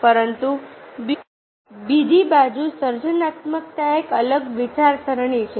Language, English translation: Gujarati, but creativity, on the other side, is a diverging thinking